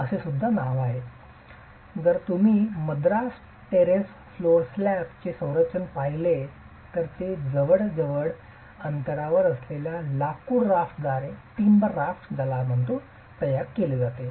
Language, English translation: Marathi, So, if you look at the configuration of the Madras Terrace Flow Slap, it's constituted by closely spaced rafters